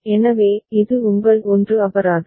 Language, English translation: Tamil, So, this is your 1 fine